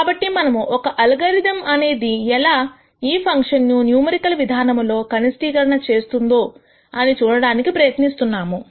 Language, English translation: Telugu, So, we are trying to look at how an algorithm would minimize this function in a numerical fashion